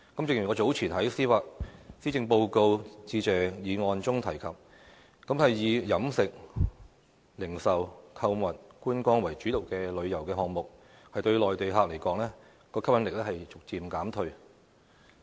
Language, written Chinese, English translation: Cantonese, 正如我早前在施政報告致謝議案辯論中提及，以飲食、零售、購物、觀光為主導的旅遊項目，對內地客而言，吸引力已逐漸減退。, As I said earlier in the debate on the motion of thanks for the Policy Address tourism programmes that focus on catering retailing shopping and sightseeing have gradually lost their appeal to Mainland visitors